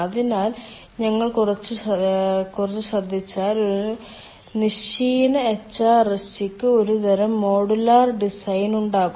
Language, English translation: Malayalam, so a horizontal, a horizontal, ah hrsg will have some sort of a modular design